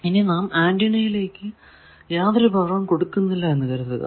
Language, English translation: Malayalam, Also suppose we are giving power to an antenna